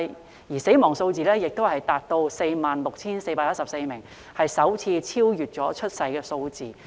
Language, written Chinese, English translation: Cantonese, 然而，死亡人數達 46,414 名，首次超越出生人數。, However the number of deaths reached 46 414 surpassing the number of births for the first time